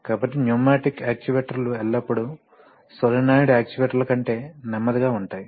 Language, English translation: Telugu, So, pneumatic actuators are always generally slower than solenoid actuators